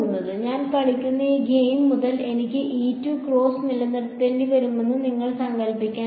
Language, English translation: Malayalam, There are other possible variations of this you can imagine that since this game that I am playing I have to keep en cross E 2